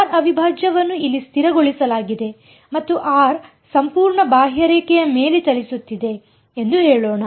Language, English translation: Kannada, Let us say r prime is fixed over here and r is running over the entire contour